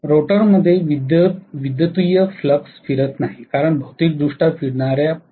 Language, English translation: Marathi, The rotor is not having rotating flux electrically; it is because the physically rotating poles